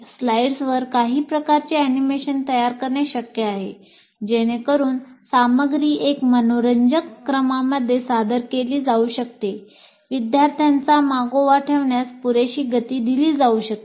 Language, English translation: Marathi, It is possible to create some kind of animations into the slides so that the material is presented in a very interesting sequence and slow enough for the student to keep track